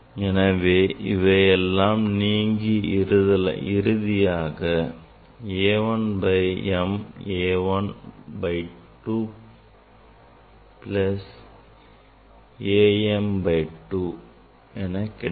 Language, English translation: Tamil, then you will get same way if you proceed you will get A equal to A 1 by 2 minus A m by 2